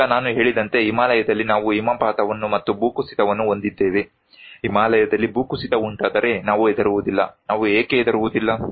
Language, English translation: Kannada, Now, as I said that we have avalanches and we have landslides in Himalayas, we do not care why we do not care, if there is an avalanche, if there landslides in Himalaya